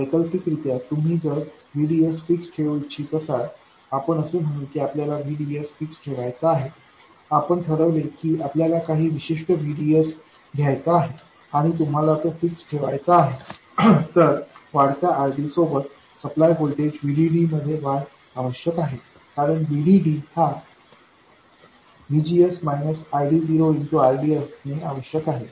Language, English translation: Marathi, Alternatively, if you want to maintain a fixed VDS, let's say we wanted VDS to be fixed, you decide that you want to have a certain VDS and you want it to be fixed, then increasing RD requires an increase in the supply voltage VDD because VD will have to be whatever VDS you choose plus ID0 times RD